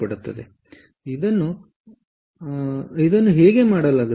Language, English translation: Kannada, clear, so this is how it is done